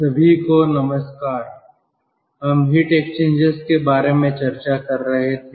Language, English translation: Hindi, we were discussing regarding heat exchangers